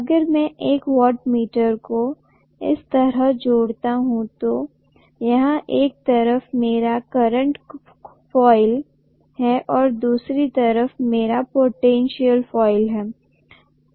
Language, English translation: Hindi, If I connect a wattmeter like this, here is my current coil and here is my potential coil